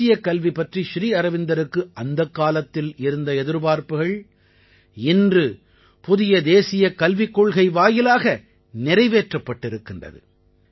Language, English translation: Tamil, Whatever Shri Aurobindosaid about national education and expected then, the country is now achieving it through the new National Education Policy